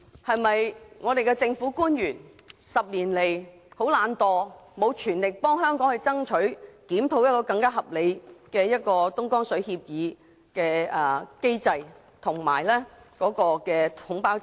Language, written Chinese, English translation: Cantonese, 本港政府官員過去10年來有否躲懶，未盡全力替香港爭取更合理的東江水協議機制，以按量收費取代統包制？, In the past 10 years have Hong Kong government officials slacked off and failed to make an all - out effort to seek a more reasonable mechanism for Hong Kong under the Agreement by replacing the package deal with quantity - based charging?